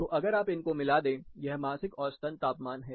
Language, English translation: Hindi, So, typically if you connect these, these are monthly mean temperatures